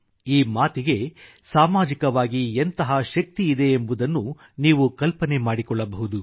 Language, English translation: Kannada, You can well imagine the social strength this statement had